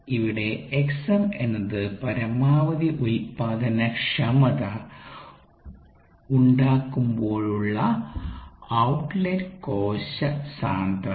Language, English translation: Malayalam, x m is the outlet cell concentration at maximum productivity